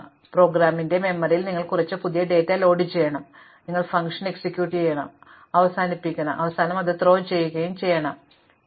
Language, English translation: Malayalam, So, in the memory of the program you have to load some new data, then you have to execute the function, when it terminates, you have to throw that out and restore the context, you have to resume